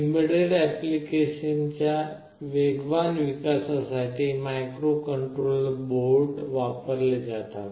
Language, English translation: Marathi, Microcontroller boards are used for fast development of embedded applications